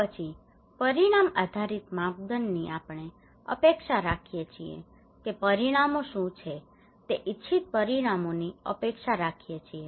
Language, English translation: Gujarati, So then outcome based criterias we expect that what are the results expected desired results okay